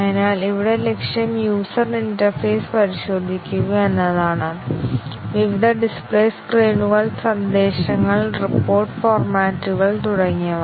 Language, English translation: Malayalam, So, here the target is to test the user interface; various display screens, messages, report formats and so on